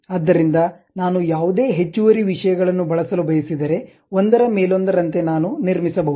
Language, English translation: Kannada, So, any additional stuff if I would like to use, one over other I can construct